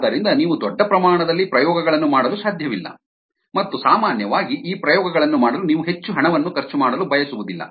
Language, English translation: Kannada, so you cannot do experiments at the large scale and typically you don't want spend so much money in doing these experiments